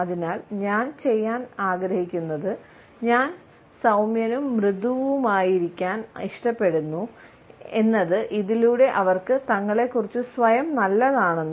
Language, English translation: Malayalam, So, what I like to do is; I like to just be gentle and soft and hopefully they will feel better about themselves